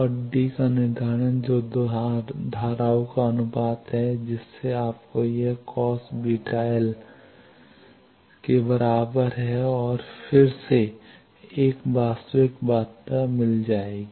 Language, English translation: Hindi, And determination of D that is ratio of 2 currents this, so that will give you this D is equal to cos beta l and again a real quantity